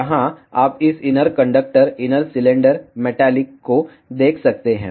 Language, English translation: Hindi, Here you can see this inner conductor inner cylinder metallic one